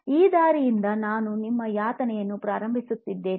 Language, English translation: Kannada, This is the path I am going to embark my suffering